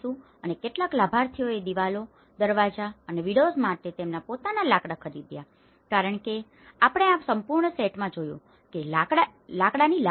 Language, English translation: Gujarati, And some beneficiaries bought their own timber for walls, doors and windows as we have seen in this complete set is in a timber